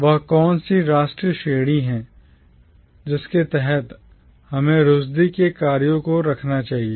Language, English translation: Hindi, What is that national category under which we should keep the works of Rushdie